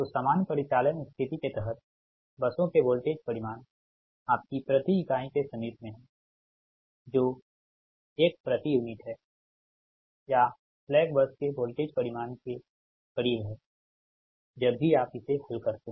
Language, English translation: Hindi, so under normal operating condition the voltage magnitude of buses are in the neighbourhood of your one per unit, right, that is one point zero per unit, and or close to the voltage magnitude of the slack bus, right, whenever you solve it